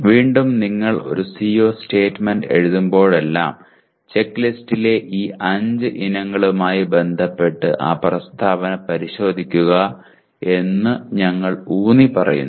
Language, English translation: Malayalam, Again, we reemphasize that whenever you write a CO statement please check that statement with respect to these 5 items in the checklist